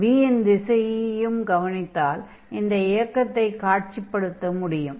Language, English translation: Tamil, And now what we also note down that the direction of this v, so, you can just visualize this motion